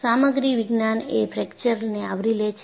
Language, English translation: Gujarati, The Material Science covers fracture